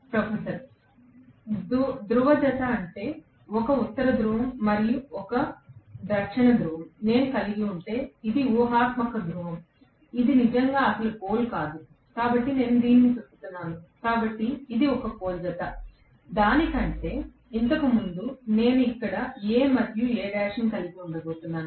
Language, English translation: Telugu, Professor: Pole pair is, if I am going to have, let us say, a north pole and south pole, which is an imaginary pole, it is not really an actual pole, it is an imaginary pole, so it as though I am rotating this, so this is 1 pole pair, if rather than that, so previously I had A here, and A dash here, right